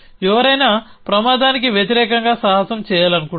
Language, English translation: Telugu, Anyone wants to venture against hazard against